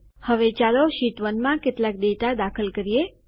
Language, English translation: Gujarati, Now lets enter some data in Sheet 1